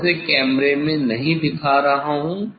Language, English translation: Hindi, I am not showing that one in the camera